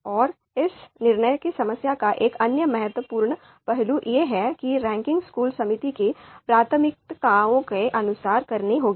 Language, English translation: Hindi, Now another important aspect of this decision problem is that the ranking has to be done according to the preferences of the school committee